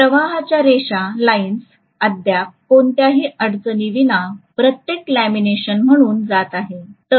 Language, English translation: Marathi, The flux lines are still flowing through every lamination without any problem, are you getting this point